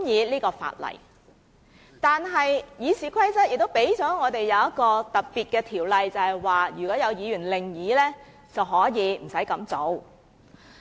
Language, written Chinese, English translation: Cantonese, 不過，《議事規則》載有一項特別的條文，便是如果有議員有異議，便無須這樣做。, However RoP contains a special provision which stipulates that if any Member raises objection this procedure can be dispensed with